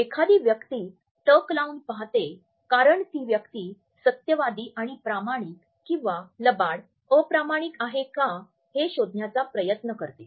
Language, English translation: Marathi, A person may be trying to keep the gaze focused because the person wants to come across is it truthful and honest one whereas, in fact, the person is a liar or a dishonest person